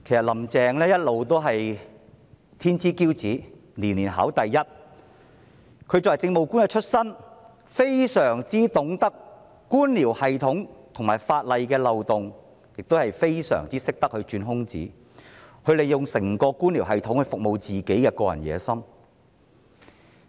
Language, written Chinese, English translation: Cantonese, "林鄭"一直是天之驕子，年年考第一，她由政務官出身，非常懂得官僚系統和法例漏洞，亦非常懂得鑽空子，她利用整個官僚系統來服務她的個人野心。, Carrie LAM has been the cream of society who came first in school examinations every year . Having started her career as an Administrative Officer she has a good understanding of the bureaucratic system and legal loopholes . She is good at exploiting these loopholes and making use of the whole bureaucratic system to serve her personal ambition